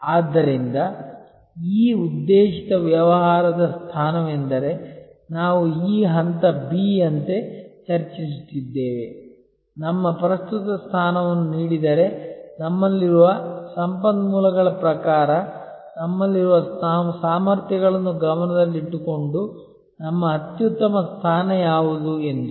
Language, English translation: Kannada, So, this targeted business position is what we were discussing as this point B that what could be our best position given our current position, given the kind of resources that we have, given the kind of competencies we have